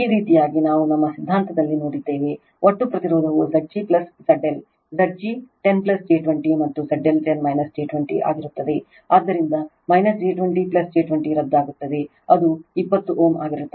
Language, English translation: Kannada, This way we have seen in our theory therefore, total impedance will be Z g plus Z l Z g is 10 plus j 20 and Z L will be 10 minus j 20, so minus j 20 plus j 20 cancels it will be 20 ohm